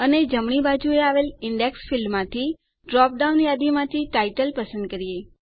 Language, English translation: Gujarati, And choose Title in the drop down list under the Index field on the right